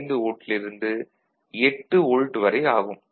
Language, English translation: Tamil, So, if it is 0 volt or 2 volts